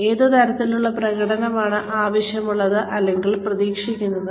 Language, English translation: Malayalam, What kind of performance is required or expected